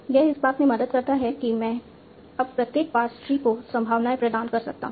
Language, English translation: Hindi, It helps in that I can now assign probabilities to each individual past tree